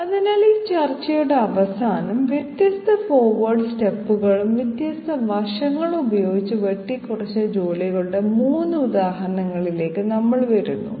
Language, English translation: Malayalam, So at the end of this discussion, we come to 3 examples of jobs which have been cut with different forward steps and different side steps